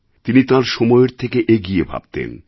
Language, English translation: Bengali, He was a thinker way ahead of his times